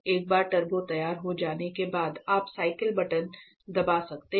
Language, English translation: Hindi, Once this is the turbo is ready you can press the cycle button